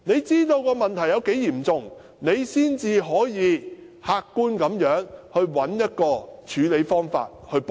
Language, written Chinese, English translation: Cantonese, 知道問題的嚴重性之後，才可以客觀地找出方法補救。, When we are aware of the seriousness of the problem we can objectively look for remedial measures